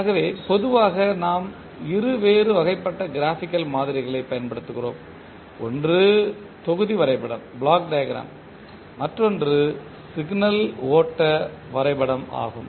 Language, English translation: Tamil, So, generally we use two different types of Graphical Models, one is Block diagram and another is signal pro graph